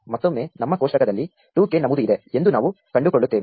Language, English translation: Kannada, Once again we find that there is an entry for 2 in our table